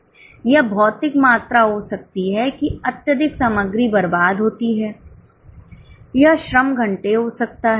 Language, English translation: Hindi, It can be material quantity, that excessive material is wasted, it can be labor hour